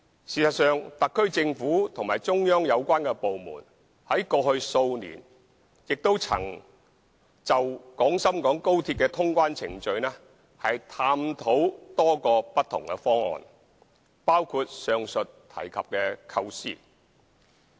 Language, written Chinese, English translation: Cantonese, 事實上，特區政府和中央有關部門過去數年曾就廣深港高鐵的通關程序探討過多個不同的方案，包括上述提及的構思。, In fact the SAR Government and the relevant departments of the Central Authorities have studied many different proposals for clearance procedures for XRL over the past few years including the aforesaid concepts